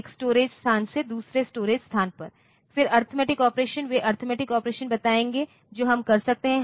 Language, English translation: Hindi, One storage location to another storage location; then the arithmetic operations they will tell the arithmetic operations that we can do